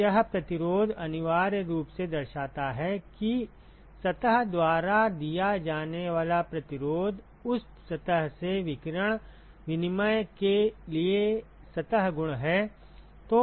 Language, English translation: Hindi, So, this resistance essentially signifies, what is the resistance offered by the surface due to it is surface properties for radiation exchange from that surface